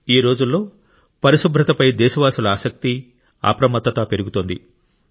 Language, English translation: Telugu, Today, the seriousness and awareness of the countrymen towards cleanliness is increasing